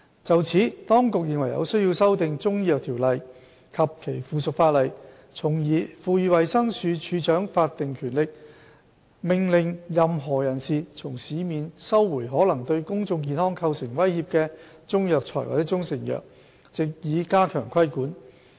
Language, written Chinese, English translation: Cantonese, 就此，當局認為有需要修訂《條例》及其附屬法例，從而賦予衞生署署長法定權力，命令任何人士從市面收回可能對公眾健康構成威脅的中藥材或中成藥，藉以加強規管。, In this connection the Administration considers it necessary to amend the Ordinance and its subsidiary legislation to strengthen the control by conferring statutory power on the Director to order any person to recall from the market any Chinese herbal medicine or proprietary Chinese medicine which may pose threats to public health